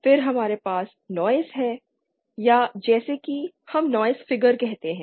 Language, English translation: Hindi, Then we have noise or as we call Noise figure